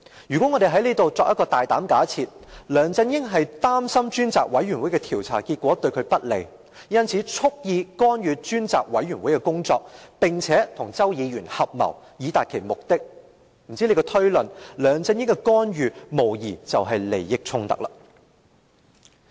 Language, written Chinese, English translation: Cantonese, 如果我們大膽假設梁振英擔心專責委員會的調查結果對他不利，因此蓄意干預專責委員會的工作，並與周議員合謀以達其目的，按這推論，梁振英的干預無疑是涉及利益衝突。, If we boldly assume that LEUNG Chun - ying was worried that the findings the Select Committees inquiry would be unfavourable to him and he thus deliberately interfered with the work of the Select Committee through conspiring with Mr CHOW then we can deduce that LEUNG Chun - yings intervention involves a conflict of interest